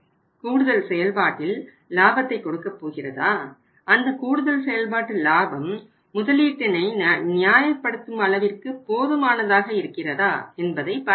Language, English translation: Tamil, Whether we are going to earn additional operating profit and whether that additional operating profit is sufficient to justify that investment